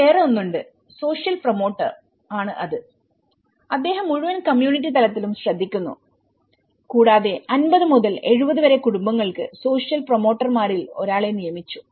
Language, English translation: Malayalam, There is another which is a social promoter, who is looking at the whole community level and for 50 to 70 households is one of the social promoter has been appointed